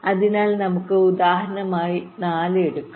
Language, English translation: Malayalam, so lets take as example four